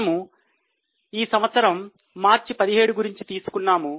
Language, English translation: Telugu, We want to study this year March 17